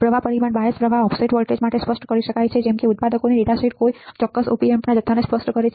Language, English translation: Gujarati, The drift parameters can be specified for the bias current offset voltage and the like the manufacturers datasheet specifies the quantity of any particular Op Amp